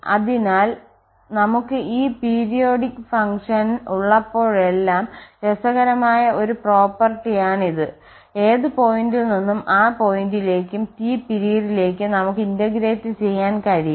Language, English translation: Malayalam, So, that is the interesting property that whenever we have this periodic function we can integrate from any point to that point plus the period T, b to b plus T or from 0 to 0 plus t